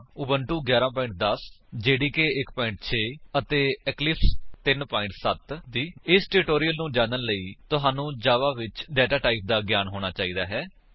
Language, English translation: Punjabi, For this tutorial, we are using Ubuntu 11.10, JDK 1.6 and Eclipse 3.7 To follow this tutorial, you must have the knowledge of data types in Java